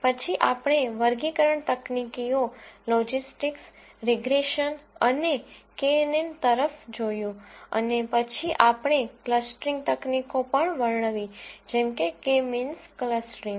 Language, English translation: Gujarati, Then we looked at classification techniques logistics, regression and k n n and then we also described clustering techniques such as k means clustering